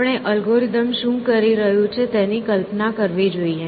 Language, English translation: Gujarati, So, we have to visualize what the algorithm is doing